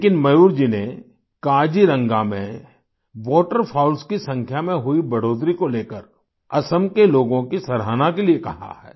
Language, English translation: Hindi, But Mayur ji instead has asked for appreciation of the people of Assam for the rise in the number of Waterfowls in Kaziranga